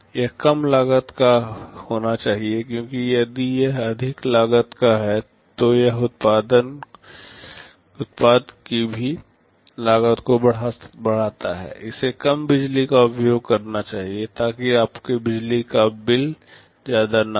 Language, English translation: Hindi, It must be low cost because if it is of a higher cost it also increases the cost of the product, it must consume low power, so you know your electric bill should not take a hit